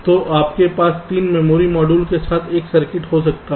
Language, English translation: Hindi, so you can have a circuit with three memory modules